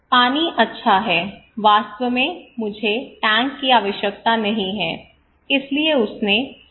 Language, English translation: Hindi, Okay, my water is good actually I do not need tank, so he left okay